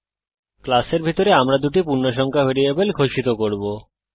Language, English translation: Bengali, Inside the class we will declare two integer variables